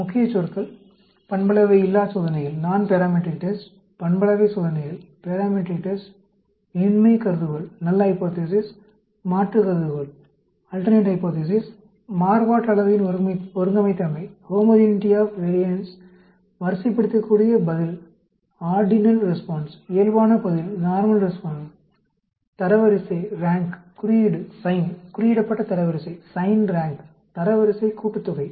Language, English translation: Tamil, Key Words: Nonparametric tests, Parametric tests, Null hypothesis, alternate hypothesis, homogeneity of variance, ordinal response, normal response, rank, sign, signed rank, rank sum